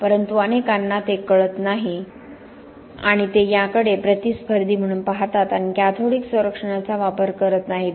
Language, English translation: Marathi, But it is, many do not realize it and they look at it as a competitor and tend not to use cathodic protection